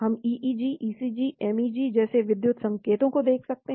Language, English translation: Hindi, We can look at electrical signals like EEG, ECG, MEG